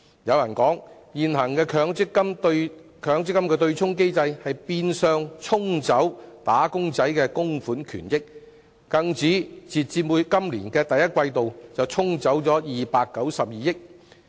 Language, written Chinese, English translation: Cantonese, 有人指出，現行的強積金對沖機制，變相"沖走"了"打工仔"的供款權益，更指截至今年第一季度，便"沖走"了292億元。, Some people have commented that the present MPF offsetting mechanism has in effect washed away the benefits being wage earners contributions . They have even commented that as at the first quarter of this year 29.2 billion has been washed away